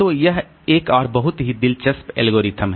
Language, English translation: Hindi, So, that is another very interesting algorithm